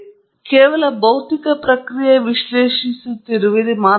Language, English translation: Kannada, It’s not just the physical process alone that you are analyzing